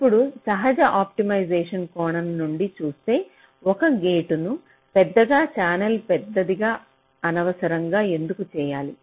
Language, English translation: Telugu, now, you see, from natural optimization point of view, why should we unnecessarily make a gate larger, the channel larger